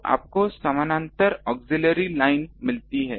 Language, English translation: Hindi, So, you get a the parallel auxiliary line ah yes